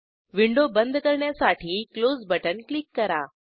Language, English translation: Marathi, Lets Click on Close button to close the window